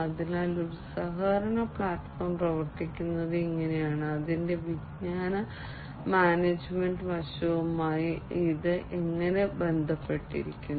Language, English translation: Malayalam, So, this is how a collaboration platform works, and how it is linked to the knowledge management aspect of it